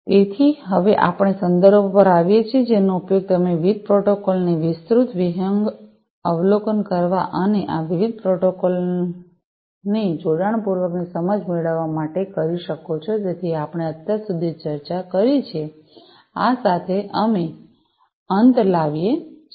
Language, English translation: Gujarati, So, next, you know, so we come to the references which you can use for getting a comprehensive overview of the different protocols and getting an in depth understanding of these different protocols that we have discussed so far, with this we come to an end